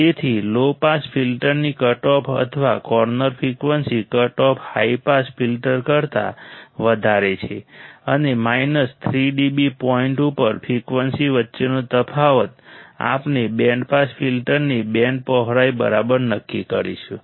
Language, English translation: Gujarati, So, the cutoff or corner frequency of the low pass filter is higher than the cutoff high pass filter and the difference between the frequency at minus 3 d B point we will determine the band width of the band pass filter alright